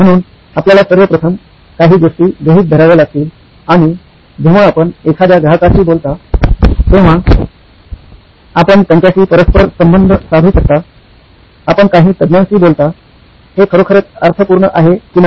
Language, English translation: Marathi, So you have to assume certain things initially and you can get it correlated when you talk to a customer, you talk to some experts, whether this actually makes sense